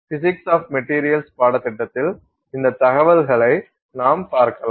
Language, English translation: Tamil, So, that's an information that you can look up in this physics of materials course